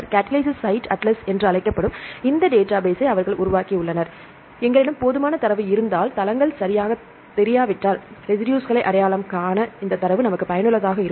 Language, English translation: Tamil, And they developed this database called Catalytic Site Atlas and once we have a sufficient number of data then these data are also useful for identifying these residues if the sites are not known right